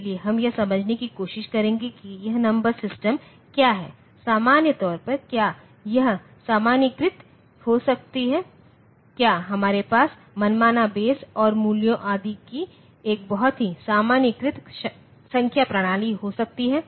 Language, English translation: Hindi, So, we will try to understand what is this number system, in general, can we have a generalized, can we have a very generalized number system of arbitrary base and values Etcetera